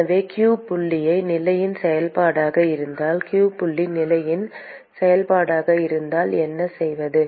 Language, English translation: Tamil, So, if q dot itself is a function of position what if q dot is a function of position